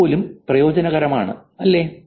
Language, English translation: Malayalam, Even that's useful, right